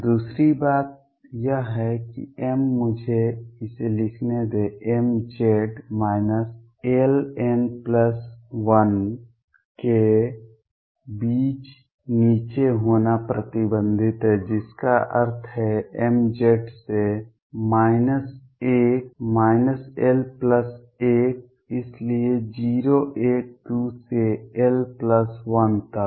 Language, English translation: Hindi, Other thing is that m; let me write it m Z is restricted to be below between minus l n plus l implies m Z as from minus l minus l plus 1 so on 0 1 2 up to l plus 1